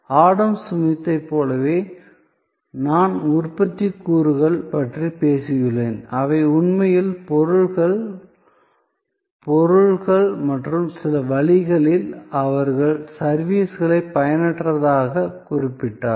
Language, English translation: Tamil, So, like Adam Smith I have talked about productive elements, which were actually the goods, objects and in some way, he connoted services as unproductive